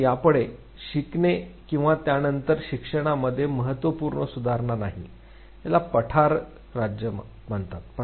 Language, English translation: Marathi, So, no more learning or no more significant enhancement in learning after that, that is called as Plateau State